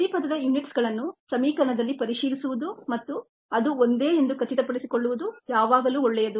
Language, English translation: Kannada, we saw it's always good to check for check the unit's of each term in an equation and ensure that it is the same